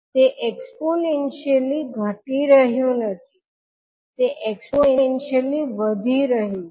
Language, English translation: Gujarati, It is not exponentially decaying, it is a exponentially rising